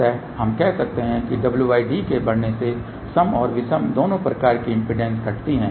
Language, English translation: Hindi, So, we can say that as w by d increases both even mode and odd mode impedance decrease